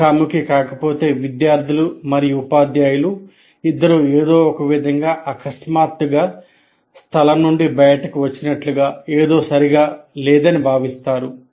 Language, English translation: Telugu, If it is not face to face, both the students and teachers may feel somehow suddenly out of place